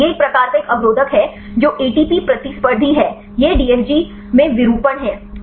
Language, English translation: Hindi, This is a kind of type 1 inhibitor that is ATP competitive, this in DFG in conformation